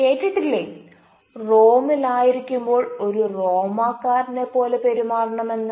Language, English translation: Malayalam, we often say that behave like a roman when you are in rome